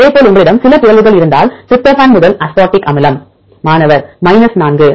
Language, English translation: Tamil, Likewise if you have some mutations for example, tryptophan to aspartic acid